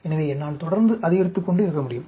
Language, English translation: Tamil, So, I can keep increasing